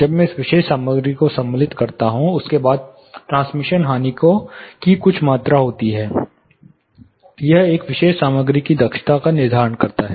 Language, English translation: Hindi, After I insert the particular material there is some amount of transmission loss which is happening, this is determining the efficiency of a particular material